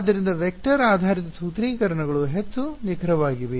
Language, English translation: Kannada, So, vector based formulations are much more accurate